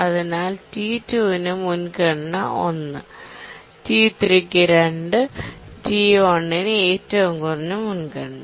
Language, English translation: Malayalam, Prior 1 for T2, priority 2 for T3 and the lowest priority for T1